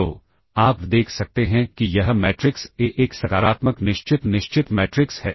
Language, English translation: Hindi, So, you can see that this matrix A is a positive definite matrix